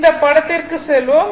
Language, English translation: Tamil, Come to this figure